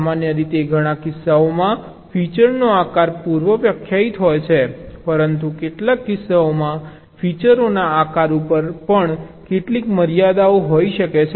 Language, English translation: Gujarati, normally shape of the feature is ah predefined in many cases, but in some cases there may be some constraint on the shape of the features as well